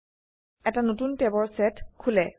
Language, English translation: Assamese, A new set of tabs open below